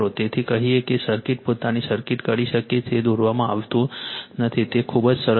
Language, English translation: Gujarati, So, you are what you call, so circuit you can do of your own circuit is not drawn it is very simple thing right